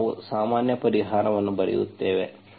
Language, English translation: Kannada, So now we will write the general solution